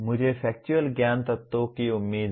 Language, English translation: Hindi, I am expected to factual knowledge elements